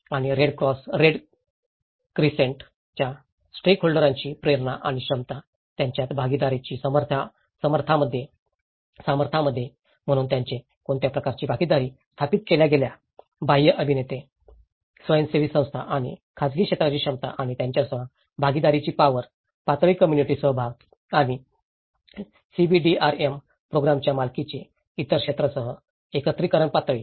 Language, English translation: Marathi, And the motivation and capacity of the Red Cross Red Crescent stakeholders in the strength of partnerships between them, so what kind of partnerships it have established, the capacity of external actors, NGOs and private sector and the strength of the partnership with them, the level of community participation and ownership of CBDRM program, the level of integration with other sectors